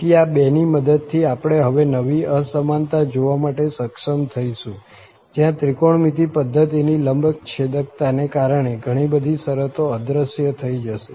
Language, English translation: Gujarati, So, with the help of these two, we will be able to now look into the new inequality where many of the terms will disappear because of the trigonometric that orthogonality of the trigonometric system